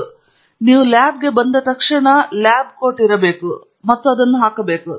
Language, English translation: Kannada, So, the moment you come to a lab, you should have a lab coat and you should put it on